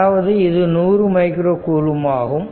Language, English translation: Tamil, So, ; that means, it is 100 micro coulomb